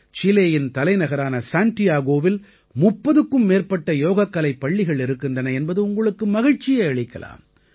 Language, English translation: Tamil, You will be pleased to know that there are more than 30 Yoga schools in Santiago, the capital of Chile